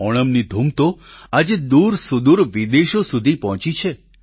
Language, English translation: Gujarati, The zest of Onam today has reached distant shores of foreign lands